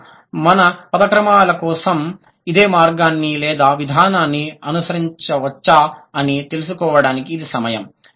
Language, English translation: Telugu, So, now it's the time to find out whether we can go, we can follow similar path for or similar sort of an approach for word order